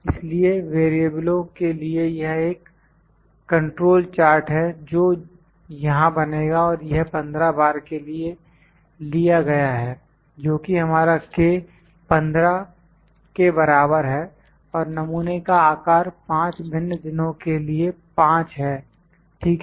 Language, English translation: Hindi, So, we can this is a control chart for variables that will construct here and this is taken for 15 times that is, our k is equal to 15 and sample size at 5 different days